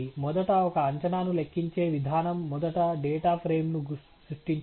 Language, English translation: Telugu, first the procedure to compute a prediction is to first create a data frame